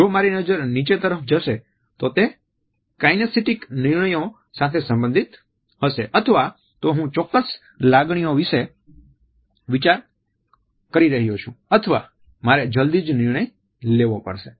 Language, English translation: Gujarati, If it is downward then it is related with kinesitic decisions either I am thinking about certain feelings or I have to take a decision soon